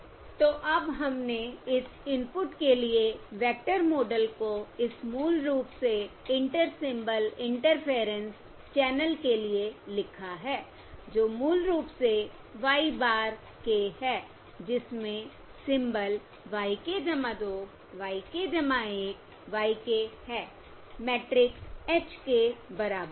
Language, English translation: Hindi, So now we have written the vector model for this input, for this basically Inter Symbol Interference channel, which is basically y bar k, which contains the symbol y k plus 2